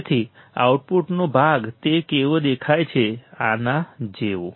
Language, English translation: Gujarati, So, part of the output how it looks like, like this